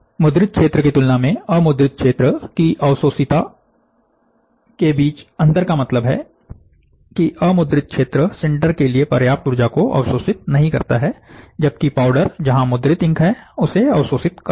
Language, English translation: Hindi, The difference between the absorptivity of the unprinted area, compared to the printed area means, that the unprinted area do not absorb enough energy to sinter, whereas, the powder where the printed ink is there, it absorbs